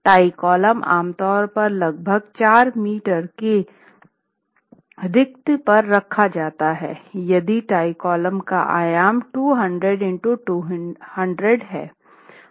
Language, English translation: Hindi, The tie columns are typically placed at a spacing of about four meters if the tie column dimension is 200 by 200